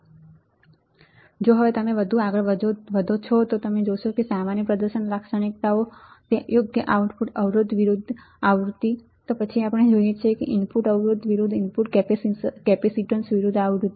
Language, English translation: Gujarati, If you go further yeah if you go further what we see typical performance characteristics right output resistance versus frequency, then we see input resistance versus input capacitance versus frequency